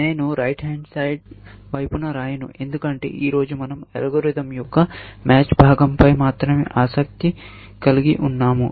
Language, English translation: Telugu, I will not write at the right hand side, because today, we are only interested in the match part of the algorithm